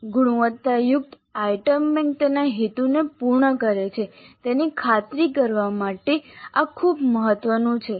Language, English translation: Gujarati, That is very important to ensure that the quality item bank serves its purpose